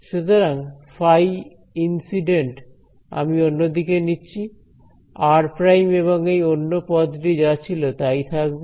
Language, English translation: Bengali, So, phi incident, I will take on the other side r prime and this other term remains as it is right